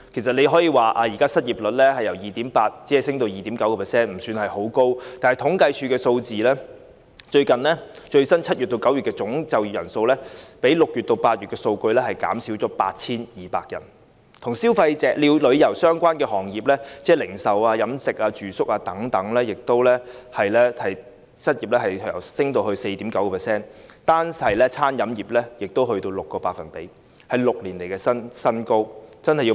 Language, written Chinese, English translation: Cantonese, 雖說失業率只是由 2.8% 上升至 2.9%， 升幅不算太高，但政府統計處的數據顯示 ，7 月至9月的最新總就業人數較6月至8月的數字減少了 8,200 人，而與旅遊相關的行業，即是零售、飲食、住宿等行業的失業率更上升至 4.9%， 單是餐飲業已達 6%， 是6年以來的新高。, Although the unemployment rate has only risen from 2.8 % to 2.9 % a rate of increase which is not very high the data provided by the Census and Statistics Department show that the latest total employment in July to September has decreased by 8 200 compared with the figure for June to August . What is more the unemployment rate of the tourism - related industries ie . retail catering accommodation etc has even risen to 4.9 %